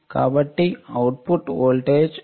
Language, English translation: Telugu, So, our output voltage Vot would be 110